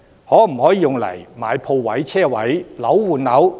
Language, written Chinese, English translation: Cantonese, 可否用以購買鋪位、車位？, Can the employees acquire shop spaces or car parking spaces?